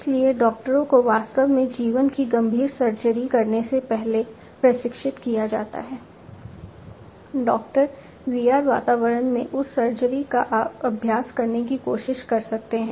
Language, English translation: Hindi, So, doctors are trained before actually performing a life critical surgery, the doctor can try to practice that surgery in the VR environment